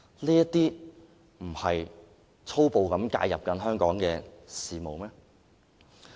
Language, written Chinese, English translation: Cantonese, "這不是粗暴介入香港的事務嗎？, Is this not a violent intervention in Hong Kongs affairs?